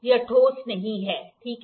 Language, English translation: Hindi, It is not solid, ok